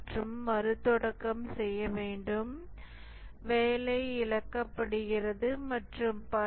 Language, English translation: Tamil, You need to reboot, work is lost and so on